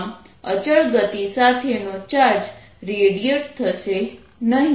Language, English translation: Gujarati, thus, charged moving with constant speed does not reradiate